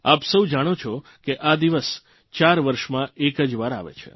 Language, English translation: Gujarati, All of you know that this day comes just once in four years